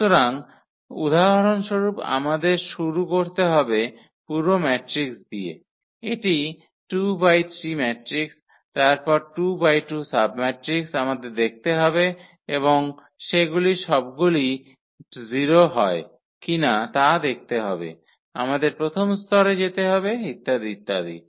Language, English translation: Bengali, So, we have to start with the whole matrix if for example, it is 2 by 3 matrix then 2 by 2 submatrix is we have to look and see if they all are 0 then we have to go to the one level and so on